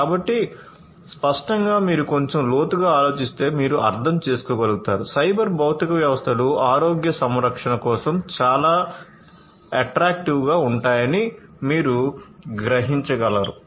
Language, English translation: Telugu, So, obviously, as you can understand if you think a little bit in deep you will be able to realize that cyber physical systems will be very attractive of use for healthcare, right